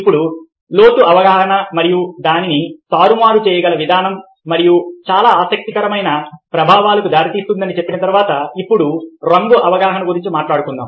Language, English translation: Telugu, now, having said that about ah depth perception and the way that it can be manipulated and give rise to very interesting effects, let us now talk about colour perception